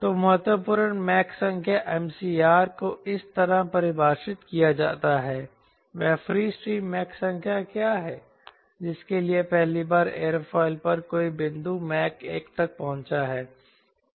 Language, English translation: Hindi, so the critical mach number is defined like this: what is that free stream mach number for which, for the first time, any point in the aerofoil has reached mach one